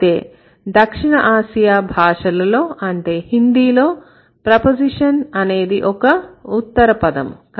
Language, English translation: Telugu, So, maybe in case, South Asian languages like Hindi, it's not a preposition rather it is a post position